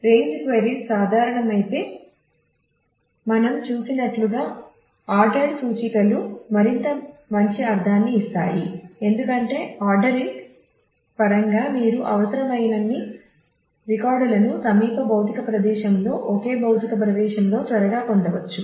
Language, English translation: Telugu, And if range queries are common then as we have seen ordered indices would make it make much better sense because in terms of the ordering you can quickly get all the required records at the same physical location nearby physical location